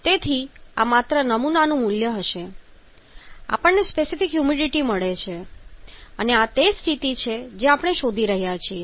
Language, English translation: Gujarati, So this is the value of the sample only so I get the specific humidity and this is the state